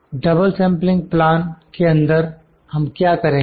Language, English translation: Hindi, In double sampling plan what we will do